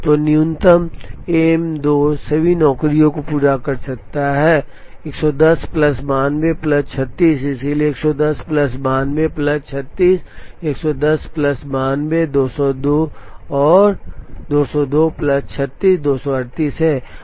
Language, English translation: Hindi, So, the minimum M 2 can complete all the jobs is 110 plus 92 plus 36, so 110 plus 92 plus 36 is 110 plus 92 is 202, 202 plus 36 is 238